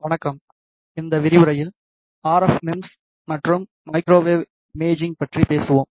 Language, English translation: Tamil, Hello, in this lecture we will talk about RF MEMS and Microwave Imaging